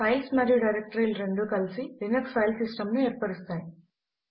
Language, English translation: Telugu, Files and directories together form the Linux File System